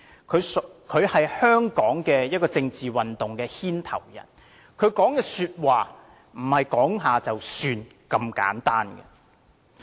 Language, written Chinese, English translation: Cantonese, 他是香港政治運動的牽頭人，他說的話並非隨口說了就算。, He leads the political campaigns in Hong Kong . What he says is not mere talk